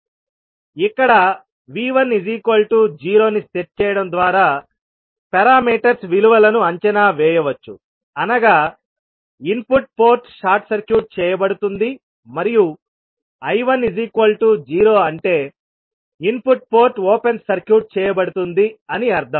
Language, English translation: Telugu, Here the value of parameters can be evaluated by now setting V 1 is equal to 0 that means input port is short circuited and I 1 is equal to 0 that means input port is open circuited